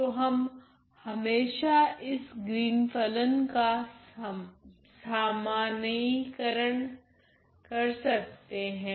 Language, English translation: Hindi, So, moving on well I can always generalize this Green’s function method